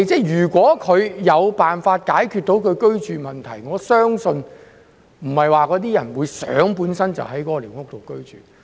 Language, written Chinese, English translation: Cantonese, "如果那些居民有辦法解決居住問題，我相信他們不會想居於寮屋。, If those residents can find a way to resolve their housing problem I do not believe any of them will want to live in squatter structures